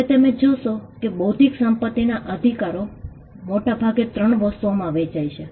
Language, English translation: Gujarati, Now, you will find that intellectual property rights deals with largely 3 things